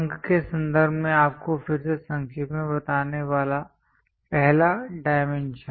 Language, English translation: Hindi, First one to summarize you again in terms of numerics; dimension